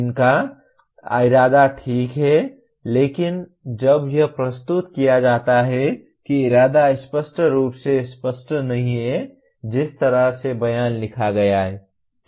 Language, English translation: Hindi, Their intention is okay but when it is presented that intention is not very clearly is not clear from the way the statement is written